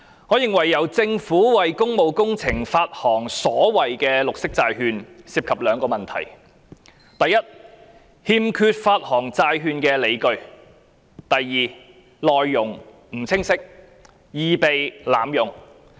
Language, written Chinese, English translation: Cantonese, 我認為由政府為工務工程發行所謂綠色債券，涉及兩個問題：第一，欠缺發行債券的理據；第二，內容不清晰，易被濫用。, In my view two problems are involved in the Governments issuance of the so - called green bonds for public works first a lack of justifications for issuance of bonds; and second unclear contents which may easily be abused